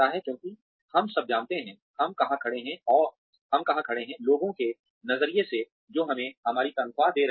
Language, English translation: Hindi, Why because, we all want to know, where we stand, from the perspective of the people, who are paying us, our salaries